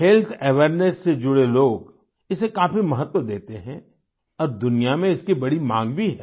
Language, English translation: Hindi, People connected to health awareness give a lot of importance to it and it has a lot of demand too in the world